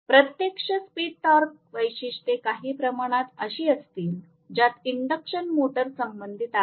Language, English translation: Marathi, Actual speed torque characteristics will be somewhat like this, as per as the induction motor is concerned